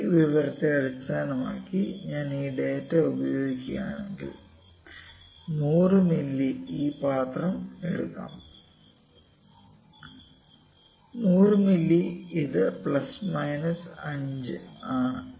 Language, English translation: Malayalam, Let me take this jar only, this jar 100 ml 100 ml this is plus minus 5 ml